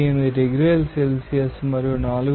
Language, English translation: Telugu, 0098 degrees Celsius and 4